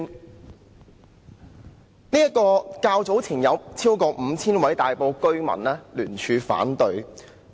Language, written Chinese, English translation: Cantonese, 這項改善工程較早前遭超過 5,000 位大埔居民聯署反對。, Not long ago over 5 000 Tai Po residents put down their signatures to oppose this project